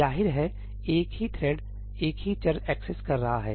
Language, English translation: Hindi, Obviously, the same thread is accessing the same variable